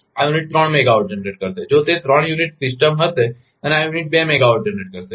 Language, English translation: Gujarati, This unit will generate four megawatt, if it is a three unit system and this unit will generate two megawatt